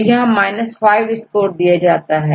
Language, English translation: Hindi, So, here what is the score 5